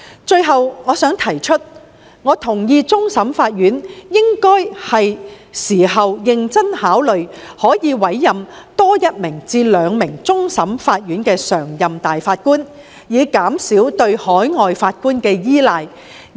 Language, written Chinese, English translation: Cantonese, 最後，我同意終審法院是時候認真考慮多委任一至兩名終審法院常任大法官，以減少對海外法官的依賴。, Last but not least I agree that it is time for CFA to seriously consider appointing one or two more PJs to reduce reliance on overseas judges